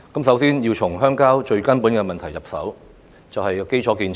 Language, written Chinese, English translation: Cantonese, 首先，我們要從鄉郊最根本的問題入手，就是基礎建設。, First we need to tackle the biggest problem in rural areas that is the provision of infrastructure facilities